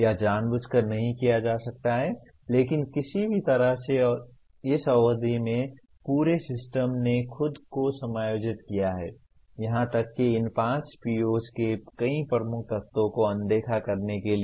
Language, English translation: Hindi, It might not be intentional but it somehow over the period the entire system has adjusted itself to kind of ignore many dominant elements of even these 5 POs